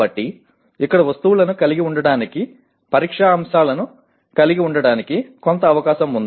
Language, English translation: Telugu, So there is some scope of having items here, having test items here